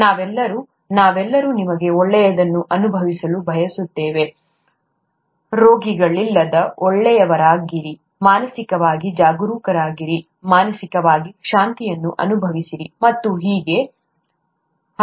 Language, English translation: Kannada, We all, all of us would like to feel good you know, be good without diseases, mentally be alert, mentally be mentally feel at peace and so on